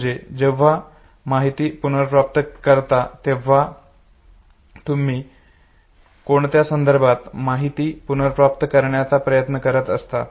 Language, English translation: Marathi, So when you recollect the information in what context are you trying to recollect the information